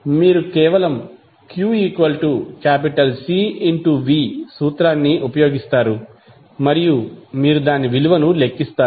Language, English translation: Telugu, You just simply use the formula q is equal to C V and you will calculate the value of q